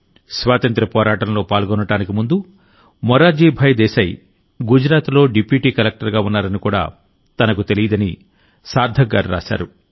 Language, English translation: Telugu, Sarthak ji has written that he did not even know that Morarji Bhai Desai was Deputy Collector in Gujarat before joining the freedom struggle